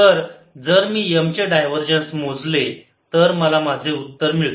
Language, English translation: Marathi, so if i calculate divergence of m, i have my answer